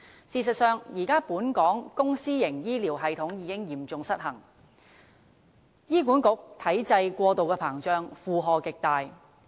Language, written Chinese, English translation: Cantonese, 事實上，本港現時的公私營醫療系統已嚴重失衡，醫院管理局體制過度膨脹，負荷極大。, As a matter of fact we see severe imbalance in the present day public and private health care systems in Hong Kong . The establishment size of the Hospital Authority HA is too big and its load extremely heavy